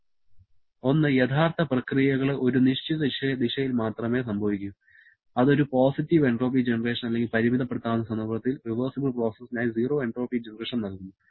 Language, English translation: Malayalam, One, real processes can occur only in a certain direction, which gives to a positive entropy generation or in the limiting case zero entropy generation for a reversible process